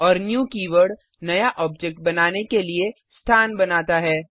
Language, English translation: Hindi, And the new keyword allocates space for the new object to be created